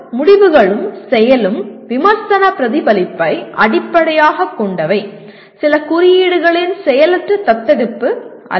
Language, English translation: Tamil, That means decisions and action are based on critical reflection and not a passive adoption of some code